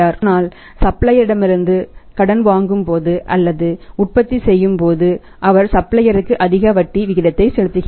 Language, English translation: Tamil, But when he is borrowing from the supplier or maybe manufacturing he is paying the higher rate of interest to the suppliers